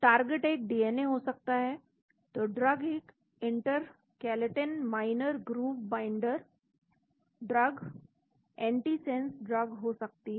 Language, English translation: Hindi, Target could be a DNA, so the drug could be an intercalating minor groove binders, antisense drugs